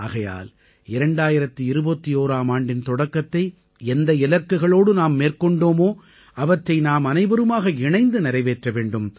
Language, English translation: Tamil, Therefore, the goals with which we started in 2021, we all have to fulfill them together